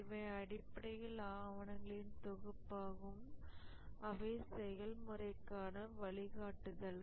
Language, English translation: Tamil, These are basically sets of documents which are guidelines for the process